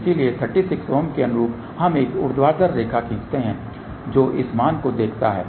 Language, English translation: Hindi, So, corresponding to 36 ohm we draw a vertical line see this value